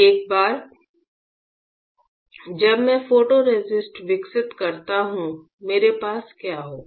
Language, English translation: Hindi, Once I develop the photoresist; what will I have